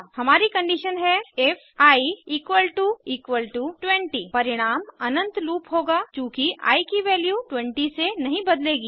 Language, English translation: Hindi, The result will be an infinite loop, since the value of i will not change from 20